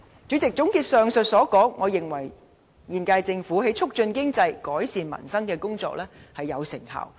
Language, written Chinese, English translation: Cantonese, 主席，總結上述所說，我認為現屆政府在促進經濟、改善民生的工作有成效。, President in a nutshell I believe the current Governments efforts in promoting the economy and improving the peoples livelihood have been effective